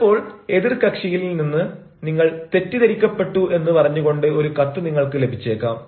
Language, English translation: Malayalam, sometimes you may also receive letters where the other party tells you that you were mistaken